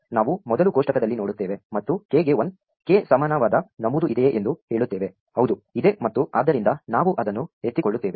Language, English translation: Kannada, We first look in the table and say is there an entry for k equal to 1, yes there is and so we pick it up